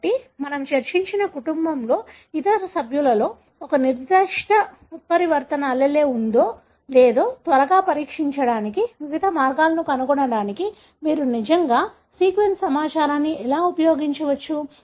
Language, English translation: Telugu, So, this is how really you can use the sequence information to come up with various ways to quickly test whether a particular mutant allele is present in the other member of the family that we discussed, right, or not